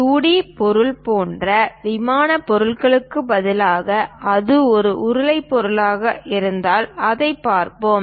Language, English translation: Tamil, Instead of a plane object like 2d object, if it is a cylindrical object let us look at it